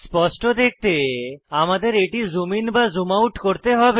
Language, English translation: Bengali, To view the Boundbox clearly, we may have to zoom in or zoom out